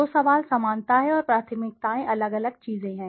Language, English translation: Hindi, So, the question is similarity and preferences are different things